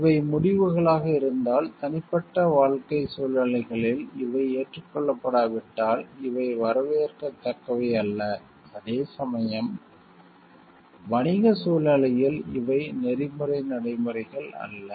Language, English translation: Tamil, If these are the conclusions, and if these are not acceptable in persons own individual life situations, these are not like welcome things to be done then equally so, in business situation these are not ethical practices